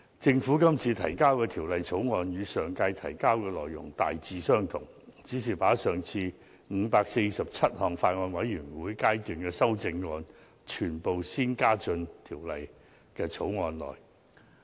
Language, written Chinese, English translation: Cantonese, 政府今次提交的《條例草案》與上屆提交的內容大致相同，只是把上次的547項全體委員會審議階段修正案，全部先加入《條例草案》內。, The contents of the Bill introduced by the Government are roughly the same as the Former Bill introduced in the last term except that the previous 547 Committee stage amendments have entirely been incorporated into this Bill